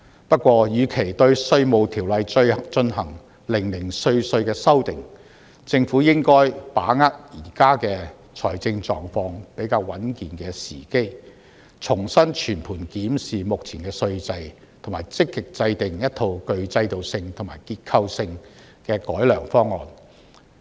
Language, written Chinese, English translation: Cantonese, 不過，與其對《稅務條例》進行零零碎碎的修訂，政府應該把握現時財政狀況比較穩健的時機，重新全盤檢視目前稅制，並積極制訂一套具制度性和結構性的改良方案。, Yet instead of making amendments in such a piecemeal manner should not the Government seize this opportunity when the financial status of the Government is relatively stable and healthy to re - examine the current tax regime comprehensively and make proactive efforts to formulate an enhanced systematic and structural approach